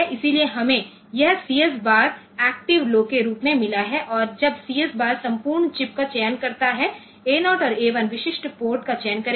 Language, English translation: Hindi, So, we have got this CS bar as active low and when CS bar selects entire chip A 0 and A 1 will select the specific ports